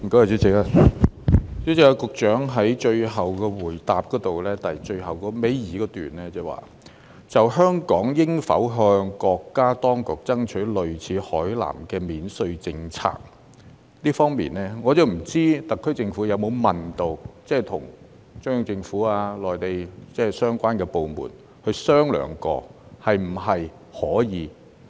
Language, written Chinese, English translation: Cantonese, 主席，局長在主體答覆倒數第二段中提及"就香港應否向國家當局爭取類似海南的免稅政策"，我不知道特區政府有否為此與中央政府及內地相關部門商量，問問是否可行。, President in the second last paragraph of the Secretarys main reply there is a line saying [a]s regards whether Hong Kong should seek from our country duty - free policies similar to that of Hainan . I am not sure if the HKSAR Government has discussed the feasibility of this idea with the Central Government and the relevant Mainland authorities . If it has brought up this idea and the Mainland says no we can just accept it